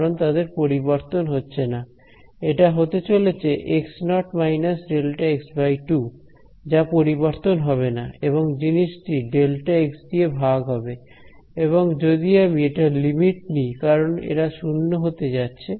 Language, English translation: Bengali, Because they do not change right this is going to be x naught minus delta x by 2; do not change and the whole thing divided by delta x and if I take the limit as these guys tend to 0